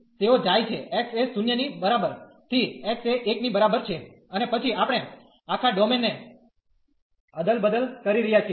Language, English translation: Gujarati, They are going from x is equal to 0 to x is equal to 1 and then we are swapping the whole domain